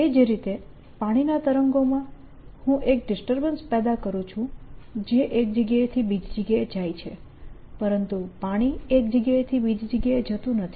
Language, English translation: Gujarati, similarly, in water waves i create a disturbance that travels from one place to the other, but water does not go from one place to other